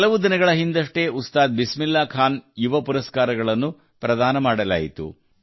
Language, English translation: Kannada, A few days ago, 'Ustad Bismillah Khan Yuva Puraskar' were conferred